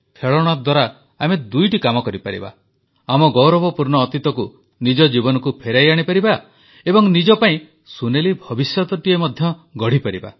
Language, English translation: Odia, We can do two things through toys bring back the glorious past in our lives and also spruce up our golden future